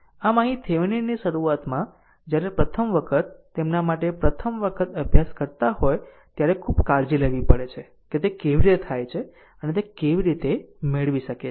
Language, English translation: Gujarati, So, here Thevenin’s initially when first time those who are studying first time for them just you have to be very care full that how you do it and how you can get it right